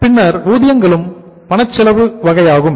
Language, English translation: Tamil, Then the wages are also the cash cost component